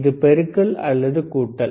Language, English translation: Tamil, Is it multiplication or addition